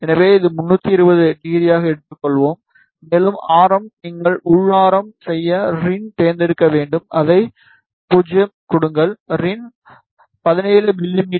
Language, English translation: Tamil, So, this let us take as 320, and for radius you need to select rin for the inner radius that maybe keep it as 0 give in as 17 mm